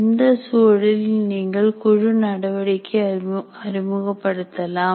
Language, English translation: Tamil, Under what condition should you introduce group activity